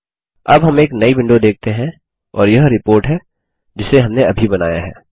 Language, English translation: Hindi, Now we see a new window and this is the Report that we built just now